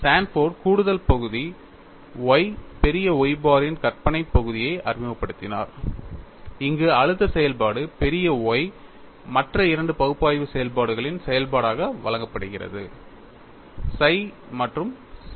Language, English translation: Tamil, Sanford introduced an additional term y imaginary part of Y bar, where the stress function y is given as function of two other analytic functions psi and chi